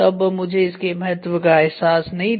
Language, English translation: Hindi, So, I did not realise the importance